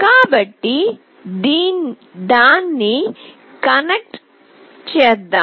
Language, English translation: Telugu, So, let me connect it